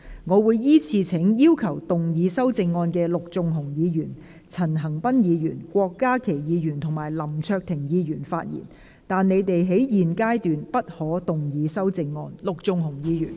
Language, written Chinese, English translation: Cantonese, 我會依次請要動議修正案的陸頌雄議員、陳恒鑌議員、郭家麒議員及林卓廷議員發言，但他們在現階段不可動議修正案。, I will call upon Members who will move the amendments to speak in the following order Mr LUK Chung - hung Mr CHAN Han - pan Dr KWOK Ka - ki and Mr LAM Cheuk - ting but they may not move their amendments at this stage